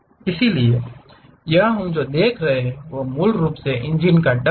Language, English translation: Hindi, So, here what we are seeing is, basically the engine duct